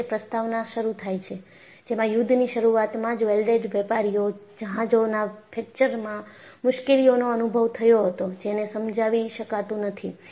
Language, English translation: Gujarati, See, the foreword starts like this, ‘early in the war, welded merchant vessels experienced difficulties in the form of fractures, which could not be explained